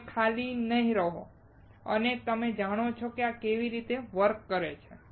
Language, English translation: Gujarati, You will not be blank and you know this is how it works